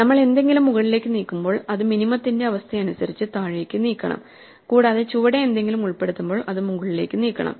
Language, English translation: Malayalam, When we move something up we have to move it down according to the min condition and when we insert something at the bottom we have to move it up right